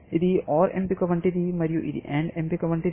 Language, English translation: Telugu, This is like an OR choice, and this is like an AND choice